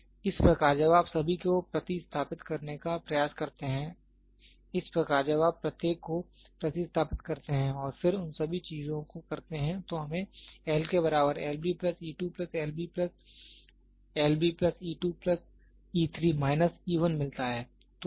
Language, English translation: Hindi, Now, what we do is thus when you try to substitute all, thus when you substitute each and then do all those things, so what we get is we get L equal to L b plus e 2 plus L b plus L b plus e 2 plus e 3 minus e 1